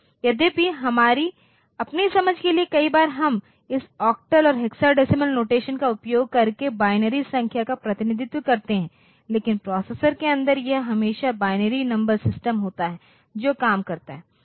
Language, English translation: Hindi, Though for our own understanding many a times we even represent binary numbers using this octal and hexadecimal notations, but inside the processor it is always the binary number system that works